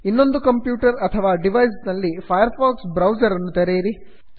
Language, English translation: Kannada, Open the firefox browser in the other computer or device